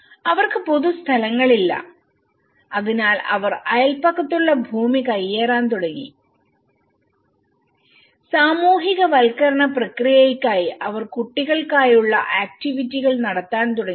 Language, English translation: Malayalam, And they donÃt have public places lets they started encroaching the neighbourhood lands and they started conducting some children activities for socialization process